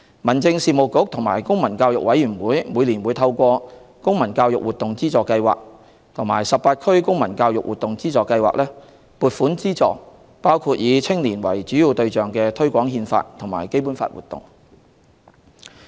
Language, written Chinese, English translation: Cantonese, 民政事務局與公民教育委員會每年會透過"公民教育活動資助計劃"及"十八區公民教育活動資助計劃"，撥款資助包括以青年為主要對象的推廣《憲法》和《基本法》活動。, The Home Affairs Bureau and CPCE grant sponsorship every year through the Community Participation Scheme and the Cooperation Scheme with District Councils to support promotional activities targeting at young people related to the Constitution and the Basic Law